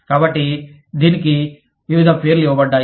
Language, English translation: Telugu, So, various names, that have been given to this